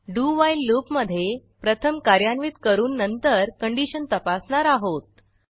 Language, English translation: Marathi, In the do...while loop, we are first executing the code and then checking the condition